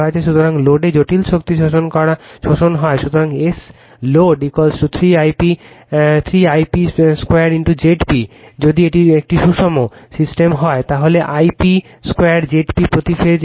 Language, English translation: Bengali, So, at the load the complex power absorb is, so S load is equal to 3 I p square into Z p if it is a balanced system, so I p square Z p per phase into 3 right